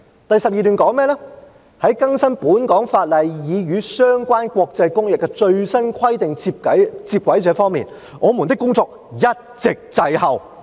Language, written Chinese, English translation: Cantonese, "第12段則說："在更新本港法例以與相關國際公約的最新規定接軌這方面，我們的工作一直滯後。, and paragraph 12 wrote We have been lagging behind in updating a number of local legislation to bring them into line with the latest requirements under the relevant international conventions